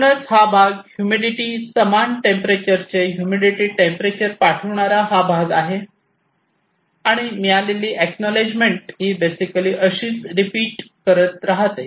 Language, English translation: Marathi, So, these are basically this part sending temperature humidity temperature equal to this humidity equal to this and acknowledgement received this basically keeps on repeating like this